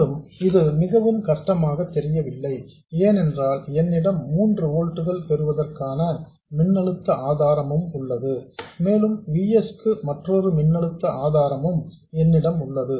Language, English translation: Tamil, And that doesn't appear to be very difficult because I have a voltage source to get 3 volts and I have another voltage source for VS